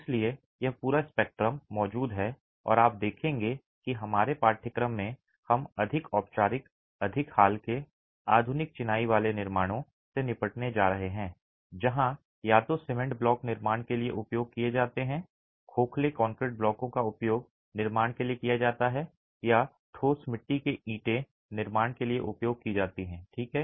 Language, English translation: Hindi, So, this entire spectrum exists and you will see that in our course we are going to be dealing with the more formal, the more recent modern masonry constructions where either cement blocks are used for construction, hollow concrete blocks are used for construction or solid fire clay bricks are used for construction